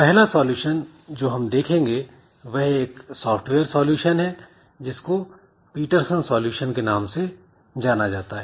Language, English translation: Hindi, The first solution that we look into is a software solution known as Peterson solution